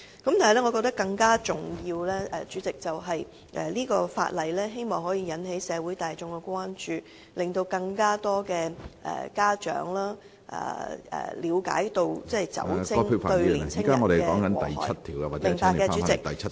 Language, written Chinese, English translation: Cantonese, 但是，主席，我覺得更重要的是，這項《條例草案》可以引起社會大眾的關注，令更多家長了解到酒精會對青年人造成的禍害......, However Chairman I think what is more important is that the Bill helps arouse public concerns so that more parents become aware of the possible harm that can be done to adolescents